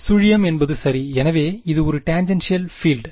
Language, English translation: Tamil, 0 right, so this is a tangential field